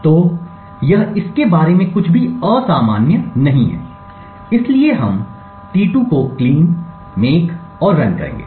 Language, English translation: Hindi, So, this is nothing unusual about it, so we would make clean make and run t2